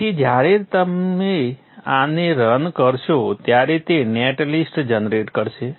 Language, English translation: Gujarati, So when you run this, it will generate the net list